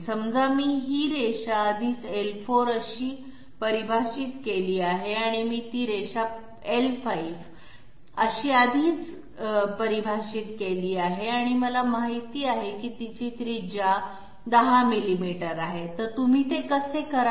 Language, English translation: Marathi, Let s say I have already defined this line to be L4 and I have already defined that line to be L5 and I know that its radius is 10 millimeters, so how do you do that